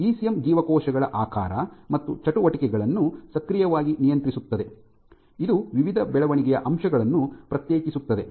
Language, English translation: Kannada, The ECM actively regulates shape and activities of the cells, it is sequesters various growth factors